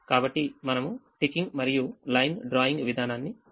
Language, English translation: Telugu, so we do the ticking and line drawing procedure